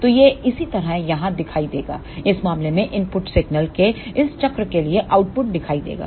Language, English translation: Hindi, So, that will appear here similarly in this case the output will be appeared for this cycle of input signal